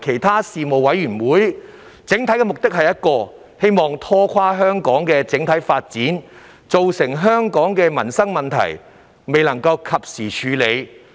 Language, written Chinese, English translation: Cantonese, 他們的整體目的只有一個，就是要拖垮香港的整體發展，令許多民生問題不能及時獲得處理。, The only one overall objective of those Members was to drag on the overall development of Hong Kong by preventing a lot of livelihood issues from being dealt with in a timely manner